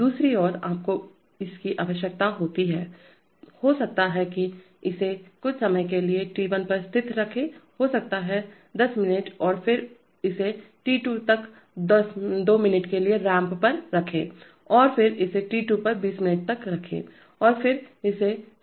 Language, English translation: Hindi, On the other hand you need to, maybe keep it constant at t1 for some time maybe 10 minutes, and then ramp it up to t2 within two minutes, and then keep it at t2 for 20 minutes, and then ramp it down to 0